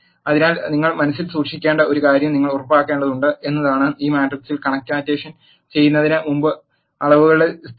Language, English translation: Malayalam, So, one thing you have to keep in mind is you have to make sure the consistency of dimensions before you do this matrix concatenation